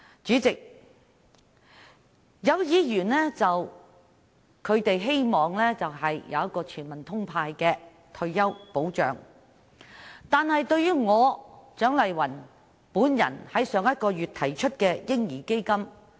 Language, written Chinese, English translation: Cantonese, 主席，有議員希望落實全民"通派"的退休保障，但他們卻不認同我於上月提出的"嬰兒基金"。, President some Members hope to see the implementation of retirement protection in the form of indiscriminate handouts for all people . But they did not agree to my proposal of setting up a baby fund last month